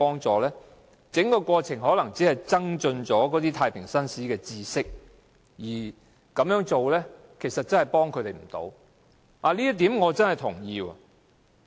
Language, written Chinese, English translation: Cantonese, 整個過程可能只增進太平紳士的知識，但對囚犯卻起不到實際幫助。, The whole process may give JPs a better understanding of the system but it does nothing to help inmates